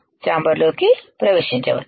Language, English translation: Telugu, Can enter the chamber